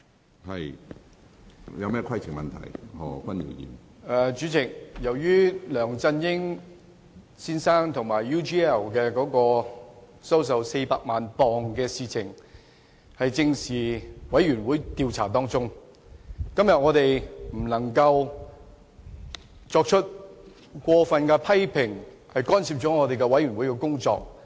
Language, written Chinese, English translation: Cantonese, 主席，由於本會專責委員會正在調查梁振英先生收受 UGL 公司400萬英鎊一事，因此議員今天不能作出過分評論，干涉專責委員會的工作。, President as the Select Committee of this Council is inquiring into the matter about Mr LEUNG Chun - ying receiving £4 million from UGL Members cannot comment too much on that incident lest it will interfere with the inquiry work of the Select Committee